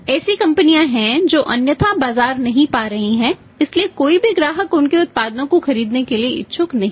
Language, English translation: Hindi, There are the companies who are not otherwise finding the market so nobody customers are not intended to buy their products